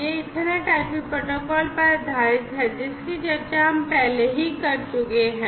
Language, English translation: Hindi, It is based upon the Ethernet IP protocol, which we have discussed before